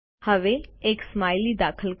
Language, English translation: Gujarati, A Smiley is inserted